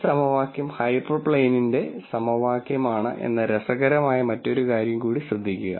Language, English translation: Malayalam, Also notice another interesting thing that this equation is then the equation of the hyperplane